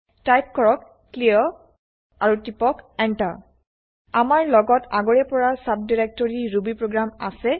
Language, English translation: Assamese, Type clear and press enter We are already in the subdirectory rubyprogram